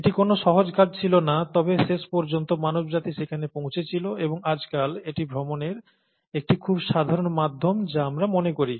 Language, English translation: Bengali, It was not an easy task, but ultimately, mankind got there, and nowadays it's a very standard form of travel that we take for granted